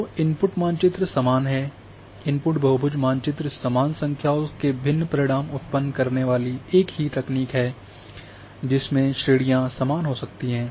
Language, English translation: Hindi, So, input map is same, input polygon map is same different techniques will produce different results though number of classes might be same